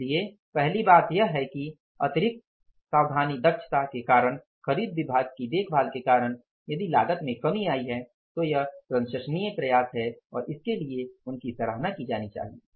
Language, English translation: Hindi, So, if the first thing is there that because of the extra caution efficiency care of the purchase department if the cost has come down, it is a laudable effort and they should be appreciated for that